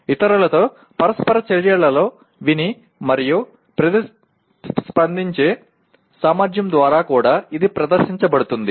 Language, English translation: Telugu, And it also demonstrated by ability to listen and respond in interactions with others